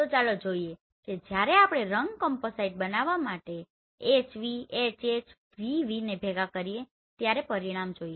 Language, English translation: Gujarati, So let us see when we combine HV, HH, VV to together to generate a color composite let us see